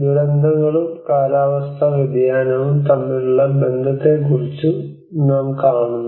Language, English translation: Malayalam, And we see about the relationship between disasters and climate change